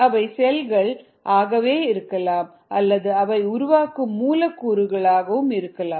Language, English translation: Tamil, they could be cells themselves or they could be molecules made by these cells